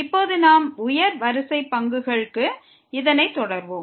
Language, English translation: Tamil, Now we will continue this for higher order derivatives